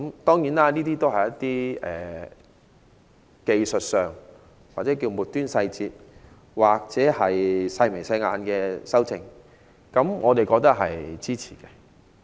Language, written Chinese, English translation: Cantonese, 當然，這都是一些技術上或稱為"末端細節"或"細眉細眼"的修訂，我都表示支持。, Of course these amendments are technical in nature and can be considered as trivial and insignificant . I also support the amendments